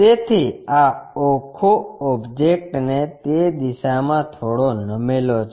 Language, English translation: Gujarati, So, this entire object tilted in that direction